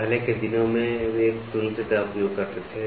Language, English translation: Hindi, The earlier days they used comparator